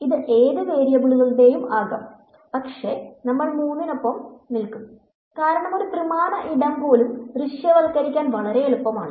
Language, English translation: Malayalam, It could be of any number of variables, but we will stick with three because where even a three dimensional space it is easy to visualize